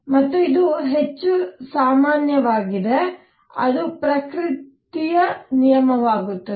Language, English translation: Kannada, And it turns out that this is more general and it becomes a law of nature